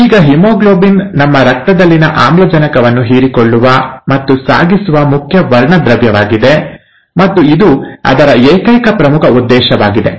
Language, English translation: Kannada, Now haemoglobin is the main pigment which absorbs and carries oxygen in our blood, and that's its major sole purpose